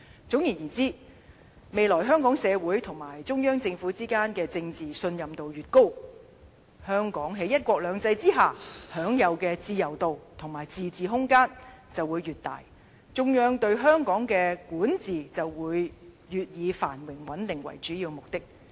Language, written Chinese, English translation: Cantonese, 總而言之，未來香港社會及中央政府之間的政治信任度越高，香港於"一國兩制"之下享有的自由度，以及自治空間便會越大，中央對香港的管治便會越以繁榮穩定為主要目的。, In brief the higher the political trust between society in Hong Kong and the Central Government in future the more freedom and room for autonomy Hong Kong will enjoy under one country two systems . In this case the Central Authorities will more likely focus on maintaining prosperity and stability as the purpose for its governance in Hong Kong